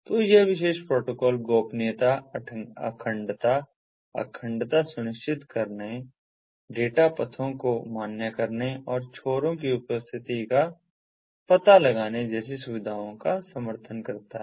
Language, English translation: Hindi, it supports features such as confidentiality, integrity, ensuring integrity, validating data paths and detecting the presence of loops